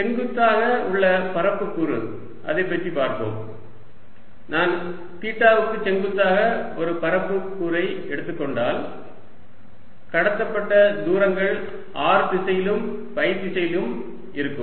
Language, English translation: Tamil, if i am taking an area element perpendicular to theta, the distances covered are going to be in the r direction and in phi direction